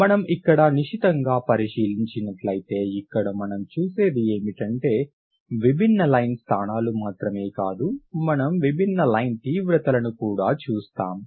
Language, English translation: Telugu, That what you see is that not only different line positions but you also see different line intensities